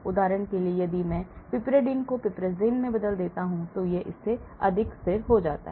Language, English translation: Hindi, For example, if I replace the piperidine with piperazine , so then this becomes more stable than this